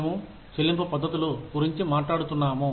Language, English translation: Telugu, We were talking about, Pay Systems